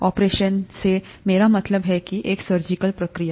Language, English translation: Hindi, What I mean by an operation is a surgical procedure